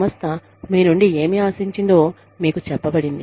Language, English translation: Telugu, You are told, what the organization expects of you